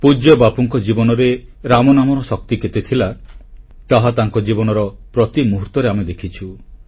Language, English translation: Odia, We have seen how closely the power of 'Ram Naam', the chant of Lord Ram's name, permeated every moment of revered Bapu's life